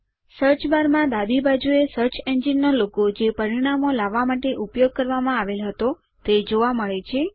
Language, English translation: Gujarati, On the left side of the Search bar, the logo of the search engine which has been used to bring up the results is seen